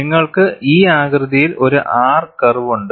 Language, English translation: Malayalam, And you have a R curve in this shape